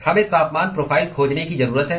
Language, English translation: Hindi, We need to find the temperature profile